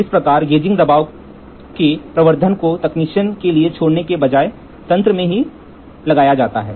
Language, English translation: Hindi, Thus, the amplification of the gauging pressure is built into the mechanism rather than leaving it to the technician